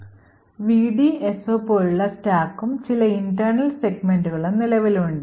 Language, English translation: Malayalam, Also present is the stack and some internal segments like the VDSO